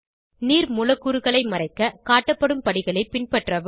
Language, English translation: Tamil, To hide the water molecules, follow the steps as shown